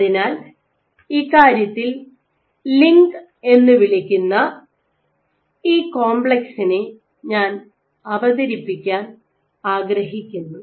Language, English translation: Malayalam, So, in this regard, I would like to introduce this complex called a LINC